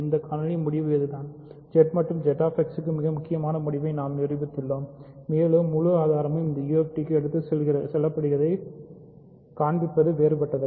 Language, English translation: Tamil, So, this is the conclusion of this video we have proved a very important result for Z and Z X and it is not difficult to show that the whole proof carries over for any UFD